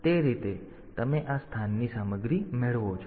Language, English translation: Gujarati, So, that way you get the content of this location